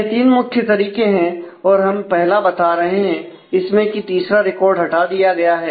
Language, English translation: Hindi, So, here we showing the first one the record three has been removed